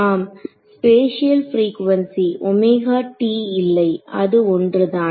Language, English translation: Tamil, Yeah, spatial frequency not omega t that this that is the same